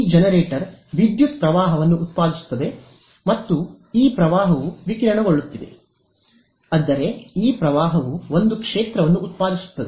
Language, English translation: Kannada, This generator is producing a current and this current is radiating I mean this current in turn produces a field ok